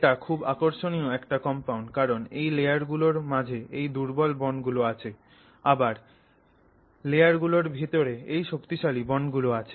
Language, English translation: Bengali, It's very interesting kind of compound because of this weak bonding between the layers with while there is strong bonding within the layer